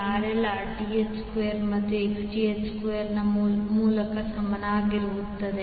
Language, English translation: Kannada, RL would be equal to under root of Rth square plus Xth square